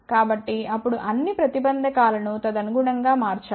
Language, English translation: Telugu, So, then all the impedances should be changed accordingly